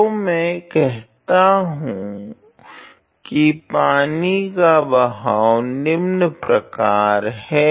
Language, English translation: Hindi, So, let me call that the flow of the water is as follows